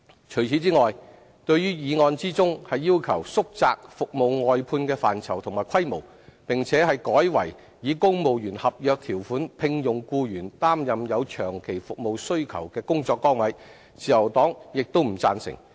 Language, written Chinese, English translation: Cantonese, 除此之外，對於議案中要求縮窄服務外判的範疇和規模，並改以公務員合約條款聘用僱員擔任有長期服務需求的工作崗位，自由黨亦不贊成。, In addition as to the request in the motion for narrowing the scope and scale of service outsourcing and recruiting employees on civil service agreement terms to fill positions with long - term service needs the Liberal Party also begs to differ